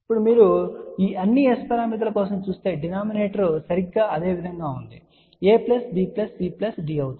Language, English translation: Telugu, Now, if you look for all these S parameters that denominator is exactly same which is nothing, but small a plus b plus c plus d